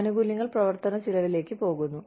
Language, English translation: Malayalam, Benefits go towards, the operational cost